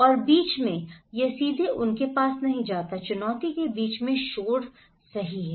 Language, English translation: Hindi, And also in between, it does not directly go to them, in between the challenge is the noise right